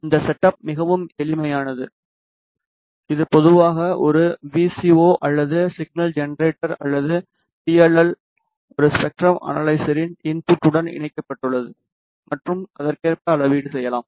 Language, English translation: Tamil, The setup is quite simple the DUT which is typically a VCO or signal generator or PLL is connected to the input of a spectrum analyzer and the measurements can be done accordingly